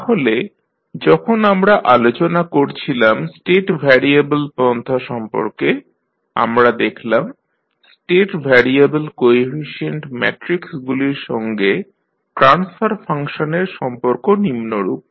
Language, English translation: Bengali, So, when you, we were discussing about the State variable approach we found that the relationship between State variable coefficient matrices and the transfer function is as follows